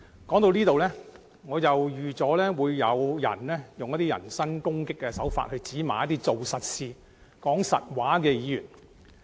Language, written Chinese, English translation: Cantonese, 說到這裏，我預計有人會用人身攻擊的手法指罵做實事、說實話的議員。, Up to this point of my speech I can foresee that some people may criticize those Members who do concrete work and speak the truth in the manner of hurling personal attacks